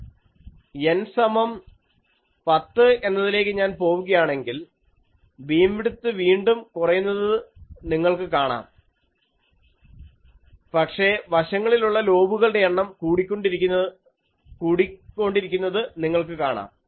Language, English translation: Malayalam, If I go to N is equal to 10, beam width is reducing, but also you see that number of side lobes are also increasing and this